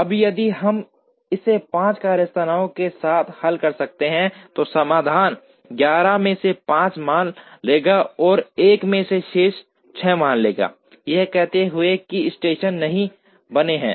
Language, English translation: Hindi, Now, if we can solve it with 5 workstations, then the solution would take 5 out of the 11 values will take 1 and the remaining 6 out of the 11 values will take 0, saying that these stations are not created